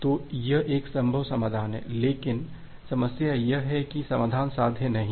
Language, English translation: Hindi, So, this is a possible solution, but the problem comes that this solution is not feasible